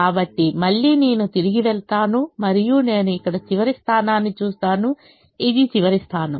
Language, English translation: Telugu, so again i go back and i look at the last position here